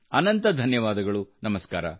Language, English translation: Kannada, Thank you very much, Namaskar